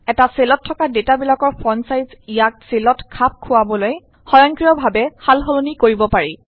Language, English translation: Assamese, The font size of the data in a cell can be automatically adjusted to fit into a cell